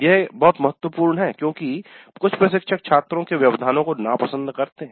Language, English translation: Hindi, This again very important because some of the instructors do dislike interruptions from the students